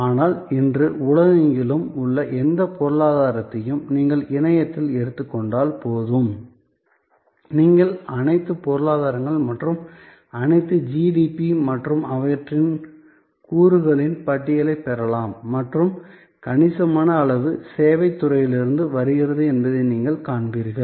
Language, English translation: Tamil, But, suffice it to say that you take any economy around the world today and on the internet, you can get list of all economies and all the GDP's and their components and you will find substantial significant part comes from the service sector